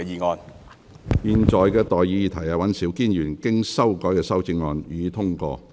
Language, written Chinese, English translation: Cantonese, 我現在向各位提出的待議議題是：尹兆堅議員經修改的修正案，予以通過。, I now propose the question to you and that is That Mr Andrew WANs revised amendment be passed